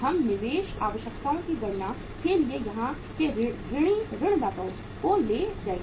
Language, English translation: Hindi, We will take the sundry debtors here for calculating the investment requirements